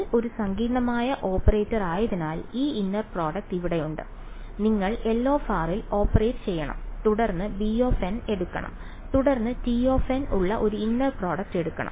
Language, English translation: Malayalam, This inner product over here because L is a complicated operator; so, you have to operated on L of r and then take the b of n and then take a inner product with t of n